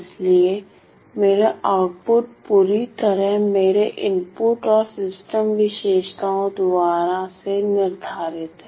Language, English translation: Hindi, So, my output is completely determined by my input and system characteristics ok